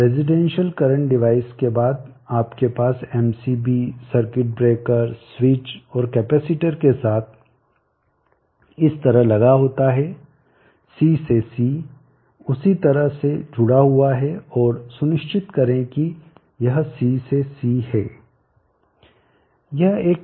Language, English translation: Hindi, The residential current you have an MCB circuit breaker switch and follow it up with the capacitor C to C connected in the same fashion and make sure it is C to C